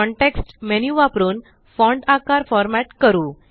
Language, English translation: Marathi, Lets format the font size using the context menu